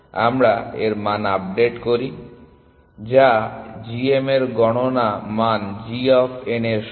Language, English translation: Bengali, So, we update the value of or the compute value of g m is equal to g of n